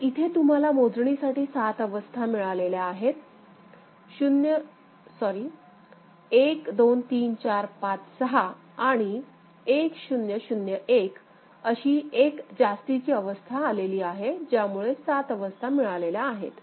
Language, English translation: Marathi, So, you have got now 6 unique states sorry, 7 unique states 1 2 3 4 5 6 and 1 0 0 1 got added right; so, 7 unique states